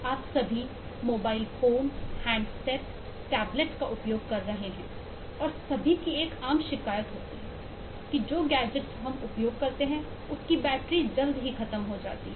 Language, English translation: Hindi, you are all using mobile phones, handsets, tablets and so on, and am sure one common complaint most of us have: for most of the gadgets that we use: I need my battery runs out very fast, irr